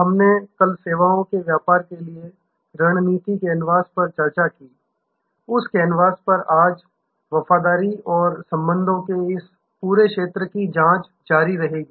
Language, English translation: Hindi, We discussed the strategy canvas for services business yesterday, on that canvas today will continue to probe into this whole domain of loyalty and relationships